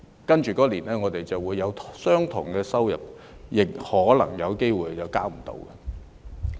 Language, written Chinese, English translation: Cantonese, 但是，我們來年未必會有相同的收入，亦可能有機會無法負擔稅款。, However as people may not have the same income next year they risk not being able to afford the tax